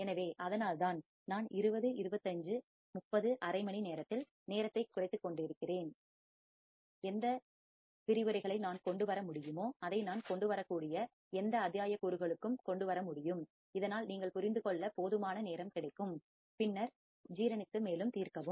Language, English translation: Tamil, So, that is why I am squeezing down the time in 20, 25, 30, half an hour whatever the lectures I can bring it to whatever modules I can bring it to so that you have enough time to understand, and then digest and then solve more